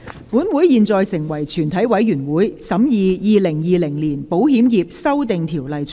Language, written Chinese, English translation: Cantonese, 本會現在成為全體委員會，審議《2020年保險業條例草案》。, This Council now becomes committee of the whole Council to consider the Insurance Amendment Bill 2020